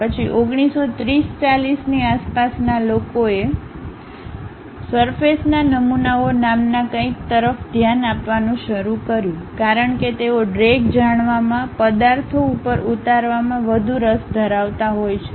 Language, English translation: Gujarati, Then around 1930's, 40's people started looking at something named surface models, because they are more interested about knowing drag, lift on the objects